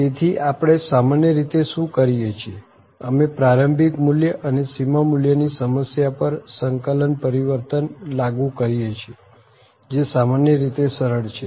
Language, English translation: Gujarati, So, what we do usually we apply the integral transform to the initial value and the boundary value problem which is normally easy